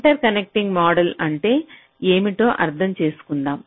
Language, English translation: Telugu, ah, let me try to understand what interconnecting model is all about